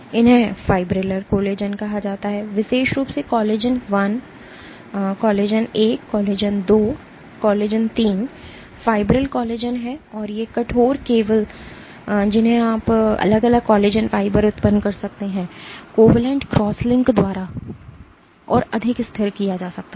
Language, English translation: Hindi, These are called fibrillar collagen specifically collagen I, II, III are fibril collagens, and these rigid cables that you can generate of individual collagen fibers can be further stabilized by covalent crosslinks